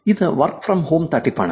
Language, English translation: Malayalam, This is work from home scam